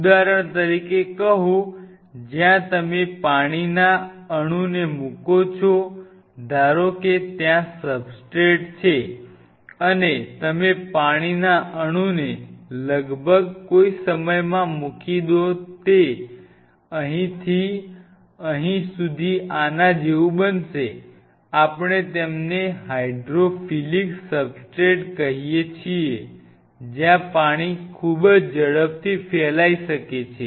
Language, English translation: Gujarati, On the contrary say for example, there are substrate where you put the water molecule suppose this is a substrate and you put the water molecule the water molecule almost in no time it will become like this from here to here we call them fairly hydrophilic substrate the water can really spread out very fast